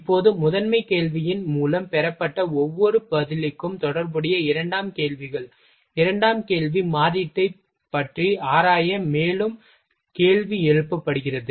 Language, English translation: Tamil, Now, secondary questions secondary question corresponding to each answer obtained through the primary question, further question is raised to explore about the alternative